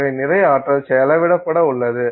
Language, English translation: Tamil, So, a lot of energy is going to be spent